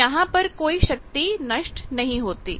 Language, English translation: Hindi, So, no power they dissipate in there